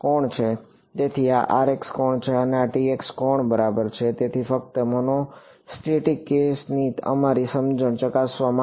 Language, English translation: Gujarati, So, this is the R x angle and this is the T x angle ok, so, just to test our understanding of the monostatic case